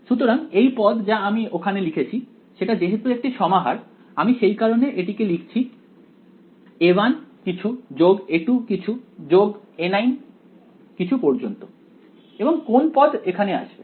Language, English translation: Bengali, So, this term over here that I have written is since its a summation I am going to get a 1 something plus a 2 something all the way up to a 9 something right and which term will come over here